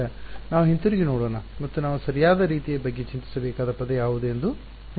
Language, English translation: Kannada, Now, let us go back and see what is the kind of term that we have to worry about right